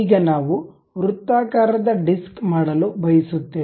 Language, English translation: Kannada, Now, we would like to make a circular disc